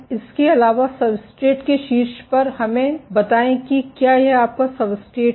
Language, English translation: Hindi, In addition, on top of the substrate let us say if this is your substrate